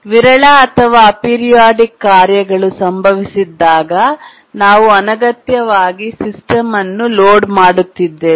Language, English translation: Kannada, And also when the sporadic or aperidic tasks don't occur, then we are unnecessarily underloading the system